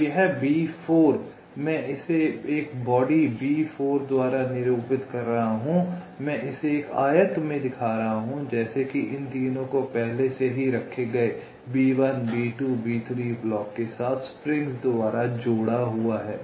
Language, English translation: Hindi, ok, so this b four, i am denoting by a body, b four, i am showing it in a rectangle which, as if is connected by springs to these three already placed blocks: b one, b two, b three